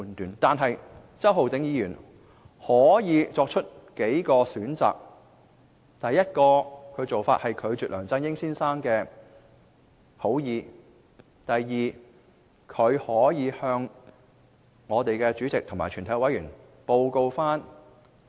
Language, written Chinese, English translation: Cantonese, 然而，周浩鼎議員當時可作出數個選擇：第一，拒絕梁振英先生的好意；第二，向專責委員會主席及全體委員報告此事。, However Mr Holden CHOW should have had a few options then first turn down the good intention of Mr LEUNG Chun - ying; and second report the matter to the Chairman and all members of the Select Committee . Take my personal experience as an example